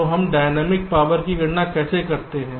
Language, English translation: Hindi, so how do we calculate the dynamic power